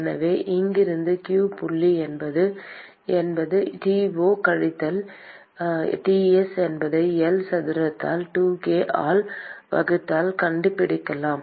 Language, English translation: Tamil, And so, from here we can find out that q dot is T 0 minus Ts divided by 2k by L square